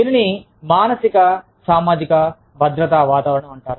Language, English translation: Telugu, That is called, the psychosocial safety climate